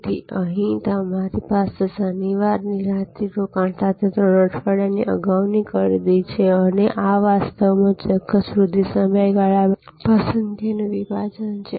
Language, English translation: Gujarati, So, here we have three weeks advance purchase with Saturday night stay over and this is actually a preferred segment for a particular promotion period